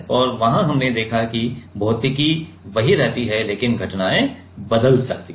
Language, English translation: Hindi, And, there we have seen that the physics remains same, but the phenomena might change